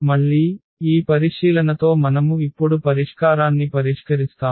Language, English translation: Telugu, Again, with this observation we will fix the solution now